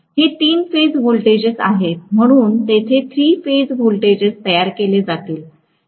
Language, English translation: Marathi, These are the three phase voltages, so there are going to be three phase voltages that are generated